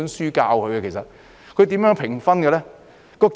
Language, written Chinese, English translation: Cantonese, 而教師又如何評分呢？, And how do teachers give scores?